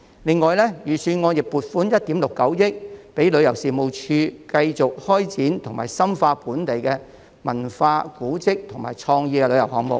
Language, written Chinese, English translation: Cantonese, 此外，預算案亦撥款1億 6,900 萬元予旅遊事務署，以作繼續開展及深化本地的文化、古蹟和創意旅遊項目。, In addition the Budget also allocates 169 million for the Tourism Commission to continue to take forward and deepen local cultural heritage and creative tourism projects